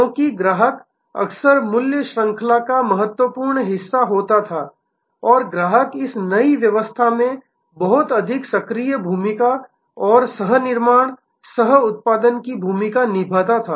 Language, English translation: Hindi, Because, customer was very much part of the value chain often and the customer played a much more proactive role and co creation, coproduction role in this new dispensation